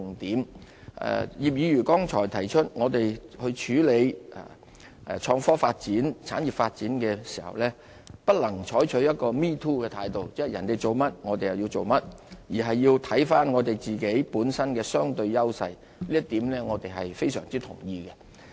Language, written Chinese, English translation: Cantonese, 葉劉淑儀議員剛才提出我們處理創科發展、產業發展的時候，不能採取一個 "me too" 的態度，即人家做甚麼，我們就跟着做甚麼，而是要看看我們自己本身的相對優勢，這一點我們非常同意。, Just now Mrs Regina IP said that in the development of innovation and technology or some other industries we should not have a me too attitude simply following the footsteps of others . We should instead assess the relative advantages that we have . We totally agree with her on this point